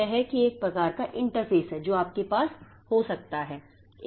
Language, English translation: Hindi, So, that is a that is one type of interface that you can have